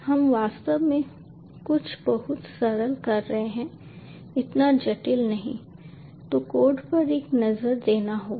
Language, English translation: Hindi, we actually will be, ah, doing something very simple, not this complicated, so will take a look at the code now again